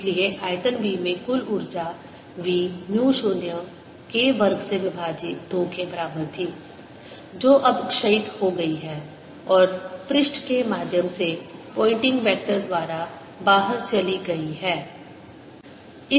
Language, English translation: Hindi, so total energy in volume v was equal to v k square by two, which has now dissipated and gone out through the surface through pointing vector